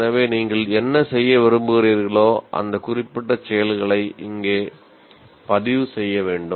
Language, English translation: Tamil, So whatever you want to do, those specific activities will have to be recorded here